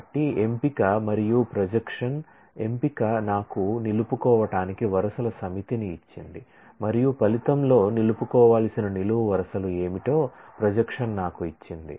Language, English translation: Telugu, So, selection and projection, selection has given me the set of rows to retain and projection has given me what are the columns to retain in the result